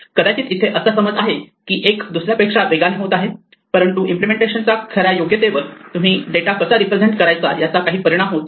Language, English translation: Marathi, Perhaps, there is a perception that the one is faster than the other, but the actual correctness of the implementation should not be affected by how you choose to represent the data